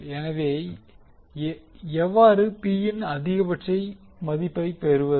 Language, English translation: Tamil, So, how to get the value of maximum P